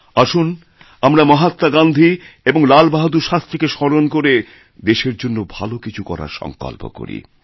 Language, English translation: Bengali, Let us all remember Mahatma Gandhi and Lal Bahadur Shastri and take a pledge to do something for the country